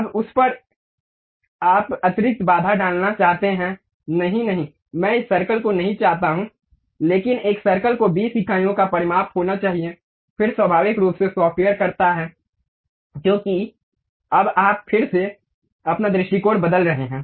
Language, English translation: Hindi, Now, over that, you want to put additional constraint; no, no, I do not want this circle, but a circle supposed to have 20 units of dimension, then naturally the software does because now you are again changing your view